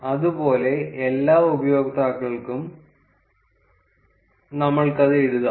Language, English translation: Malayalam, Similarly, we can write it for all the users